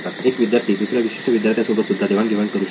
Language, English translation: Marathi, Students can share with other students like specific student